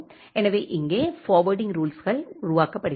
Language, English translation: Tamil, So, here the forwarding rules are generated